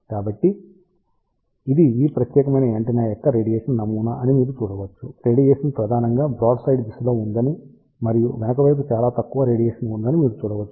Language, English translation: Telugu, So, you can see this is the radiation pattern of this particular antenna you can see that radiation is mainly in the broadside direction and there is a very little radiation in the back side